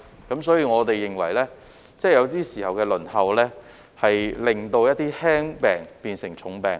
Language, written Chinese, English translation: Cantonese, 因此，我們認為有些時候，輪候令輕病變成重病。, Therefore we think that sometimes mild illnesses may worsen to serious problems due to the long wait